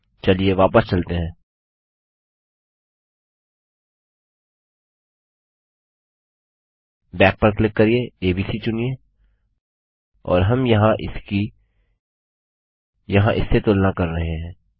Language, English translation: Hindi, Lets go back, click back, choose abc and we are comparing this here to this here